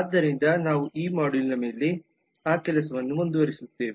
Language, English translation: Kannada, so we will continue on that task over this module as well